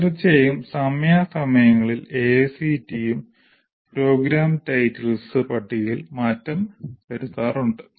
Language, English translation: Malayalam, Of course, AICT also from time to time will keep modifying the list of program titles